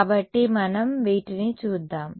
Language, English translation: Telugu, So, let us look at these